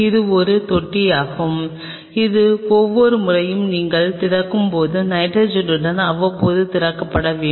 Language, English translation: Tamil, And this is a tank which has to be replenished time to time with the with nitrogen as your every time you are opening it